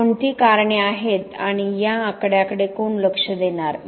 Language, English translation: Marathi, What are the reasons and who is going to look at this numbers